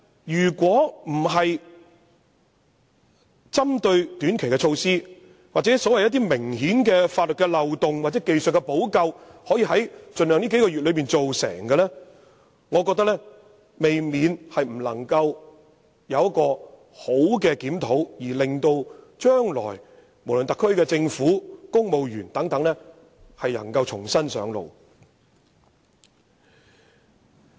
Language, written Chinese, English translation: Cantonese, 但是，如不針對一些短期的措施，就明顯的法律漏洞作出技術補救，並盡量在這數個月內完成，我認為便不能夠作出完善的檢討，無法讓特區政府和公務員在日後重新上路。, However I also think that if we do not introduce any technical remedies to plug the obvious loopholes in some specific short - term measures and seek to complete the task in these few months as far as possible then there can be no effective review and the SAR Government and civil servants will be unable to begin afresh in the future . President there is one thing that especially merits our vigilance